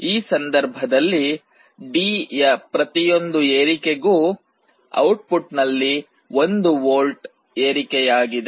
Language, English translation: Kannada, In this case for every increase in D, there is a 1 volt increase in the output